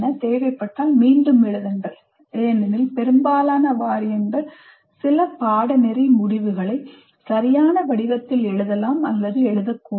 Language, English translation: Tamil, Rewrite if necessary the course outcomes because some of the most of the universities, their boards of studies write some course outcomes, they may or may not be written in a good format